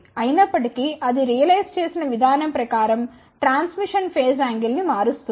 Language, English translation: Telugu, However, the way it is realized it changes the transmission phase angle